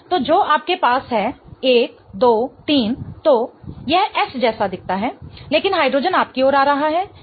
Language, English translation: Hindi, So, this will be 1, 2, 3 and it moves like R but the hydrogen is coming towards me so this is S